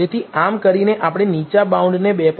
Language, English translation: Gujarati, So, by doing so we get the lower bound as 2